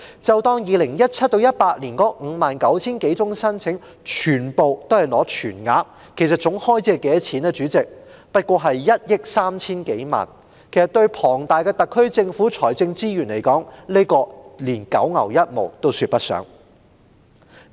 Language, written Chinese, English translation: Cantonese, 假設 2017-2018 年度的 59,000 多宗申請全部獲批全額，代理主席，總開支也只是1億 3,000 多萬元，對坐擁龐大財政資源的特區政府來說，連九牛一毛也說不上。, If all the 59 000 - odd applications in 2017 - 2018 were granted the full rate Deputy Chairman the total expenditure was only some 130 million . To the SAR Government hoarding tremendous financial resources it cannot even be compared to a drop in the ocean